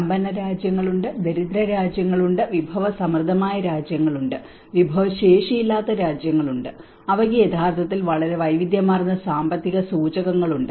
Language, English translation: Malayalam, There are rich countries, there are poor countries, there are resourceful countries, the resourceless countries and that have actually as a very diverse economic indicators into it